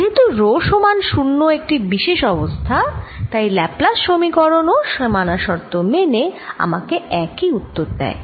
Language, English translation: Bengali, and rho equals zero is just special case and therefore laplace equation, also given boundary conditions, gives me the same answer